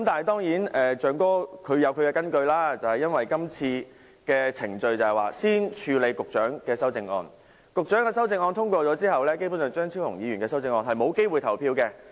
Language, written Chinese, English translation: Cantonese, 當然，"象哥"有其根據，因為會議議程先處理局長的修正案，若局長的修正案獲得通過，張超雄議員的修正案便沒有機會表決。, But certainly Mr Elephant had his justifications because the amendment proposed by the Secretary will be processed first according to the Agenda . If the Secretarys amendment is passed Dr Fernando CHEUNGs amendment will not be put to the vote